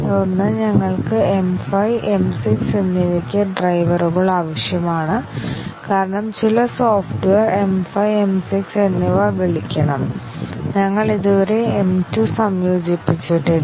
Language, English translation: Malayalam, And then we need drivers for both M 5 and M 6, because some software must call M 5 and M 6, we have not yet integrated M 2